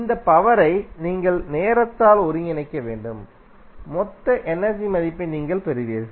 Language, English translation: Tamil, You have to just integrate over the time of this power, you will get the value of total energy stored